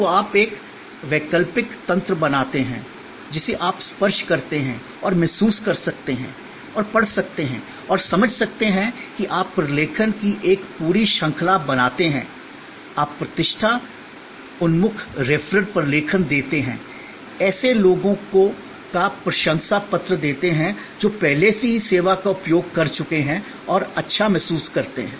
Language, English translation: Hindi, So, you create an alternate mechanism, which you can touch and feel and read and understand is that you create a whole series of documentation, you give reputation oriented referral documentation, give testimonial of people who have already earlier use the service and felt good